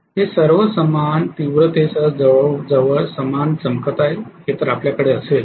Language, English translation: Marathi, So we will have all of them glowing almost similarly with similar intensities